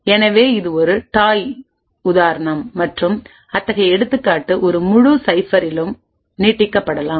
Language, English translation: Tamil, So this was a toy example and such an example could be extended to a complete cipher